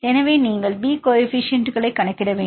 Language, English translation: Tamil, So, you need to calculate the coefficients b